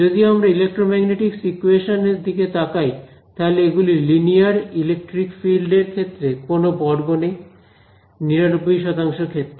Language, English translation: Bengali, So, we look at electromagnetic equations they are actually linear, there is no square for electric field or something for the most 99 percent of the cases